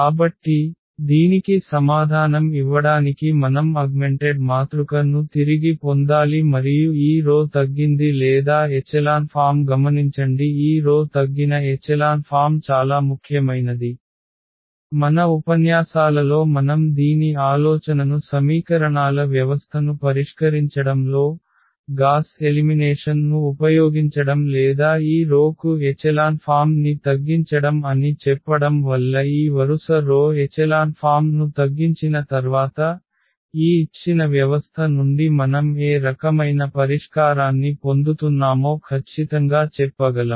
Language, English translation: Telugu, So, to answer this again we have to get back to this the idea of the augmented matrix and the row reduced or echelon form again just note that this row reduced echelon form is very important almost in our lectures we will be utilizing the idea of this solving the system of equations, using gauss elimination or rather saying this reducing to this row reduced echelon form because once we have this row reduced echelon form, we can tell exactly that what type of solution we are getting out of this given system